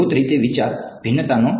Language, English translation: Gujarati, Basically idea is of differentiation